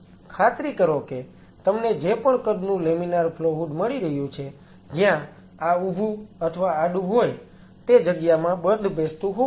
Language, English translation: Gujarati, So, please ensure whatever size of a laminar flow hood you are getting, where this a vertical or horizontal it should match into the space